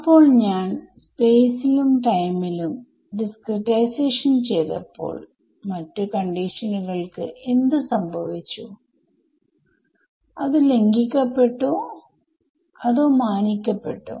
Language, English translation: Malayalam, So, the actual question comes is when I am doing this discretization in space and time, what happens to the other conditions are they beings violated or are they being respected right